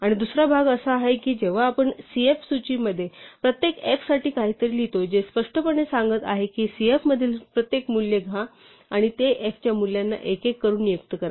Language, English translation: Marathi, And the other part is that when we write something like for each f in the list cf, which is implicitly saying that take every value in cf and assign it one by one to the values f to the name f